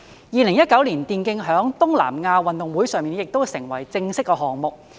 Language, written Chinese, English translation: Cantonese, 2019年，電競在東南亞運動會上成為正式項目。, In 2019 e - sports became an official sport in the South East Asian Games